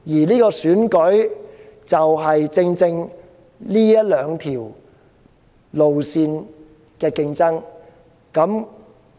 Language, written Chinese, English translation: Cantonese, 這次選舉正正是這兩條路線的競爭。, This Election is precisely a competition between the two approaches